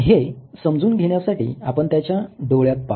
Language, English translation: Marathi, To comprehend this let us look into his eyes